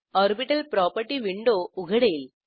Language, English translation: Marathi, Orbital property window opens